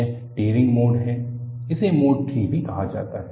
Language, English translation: Hindi, This is the Tearing Mode also called as Mode III